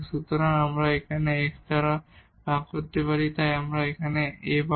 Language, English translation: Bengali, So, we can divide by this delta x so, we will get A there